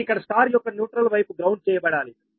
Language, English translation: Telugu, so neutral side of the star should be grounded